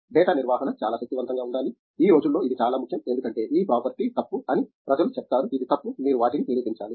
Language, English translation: Telugu, Data handling should be very powerful, that is very important nowadays because people say that this property is wrong, this is wrong, you have to prove them